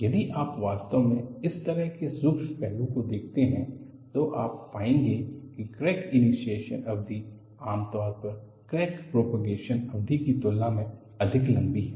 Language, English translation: Hindi, If you really look at the subtle aspect like this, you will find the crack initiation period is generally much longer than the crack propagation period